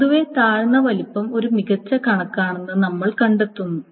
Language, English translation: Malayalam, Generally it has been find out that the lower size is a better estimate